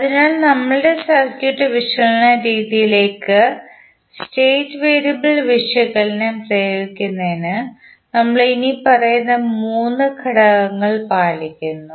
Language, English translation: Malayalam, So, to apply the state variable analysis to our circuit analysis method we follow the following three steps